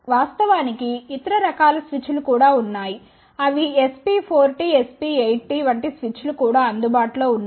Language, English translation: Telugu, In fact, there are other types of switches are also there there are switches like SP4T, SP8T they are also available